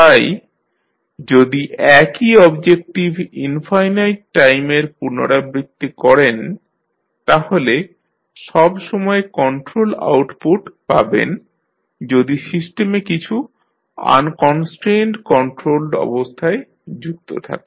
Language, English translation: Bengali, So, if you repeat the same objective infinite times, you will get always the control output provided you have some unconstrained controlled connected to the system